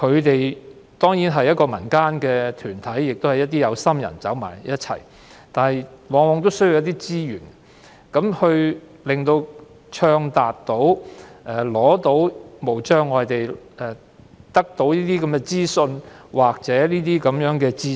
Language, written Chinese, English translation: Cantonese, 這些民間團體，由一眾有心人組成，它們往往需要足夠資源，才能暢達無障礙地取得資訊或知識。, These community groups formed by kind - hearted individuals are very often in need of sufficient resources to facilitate unfettered access to information or knowledge